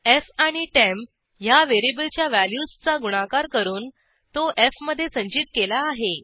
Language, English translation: Marathi, Value of variable f and temp is multiplied and stored in f